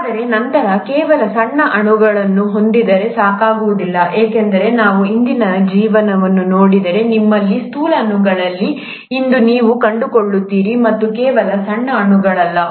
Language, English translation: Kannada, But then, just having small molecules is not enough, because if we were to look at the present day life, you find that you have macromolecules, and not just smaller molecules